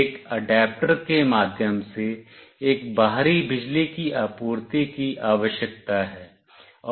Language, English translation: Hindi, An external power supply through an adapter is required